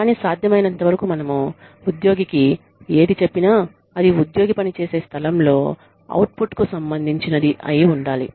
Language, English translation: Telugu, But, as far as possible, whatever we say to the employee, should be related, to the employee